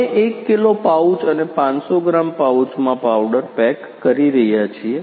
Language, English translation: Gujarati, We are packing in a powder in a 1 kg pouch and 500 gram pouches